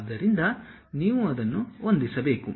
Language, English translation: Kannada, So, you have to really adjust it